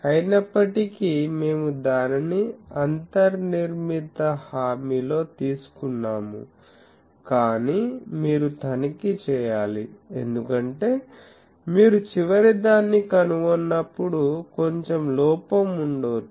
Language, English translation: Telugu, Though, we have taken it in the that guarantees inbuilt, but you should check, because when you have found out the final one, there may be slight error